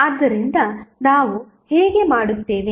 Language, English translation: Kannada, So, how we will do